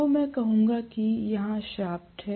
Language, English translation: Hindi, So, I would say that here is the shaft